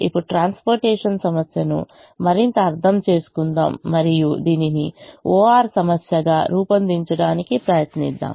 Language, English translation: Telugu, now let's understand the transportation problem further and let's try to formulate this as an o